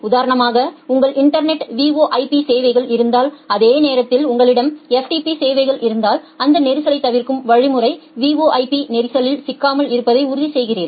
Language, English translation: Tamil, Say for example, if you have VoIP services over your internet and at the same time you have FTP services then this congestion avoidance algorithm ensures that the VoIP does not get into the congestion